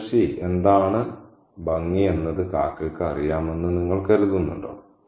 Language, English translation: Malayalam, Do you think the crow knows what is pretty